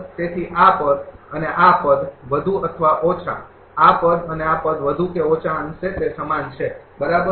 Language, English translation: Gujarati, So, this term and this term more or less this term and this term more or less it is same, right